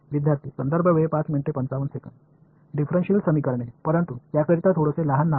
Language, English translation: Marathi, Differential equations, but a little bit small special name for it